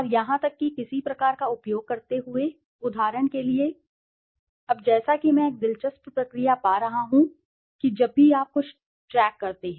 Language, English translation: Hindi, And even using some kind of a, for example, now it as I am finding an interesting process that whenever you track something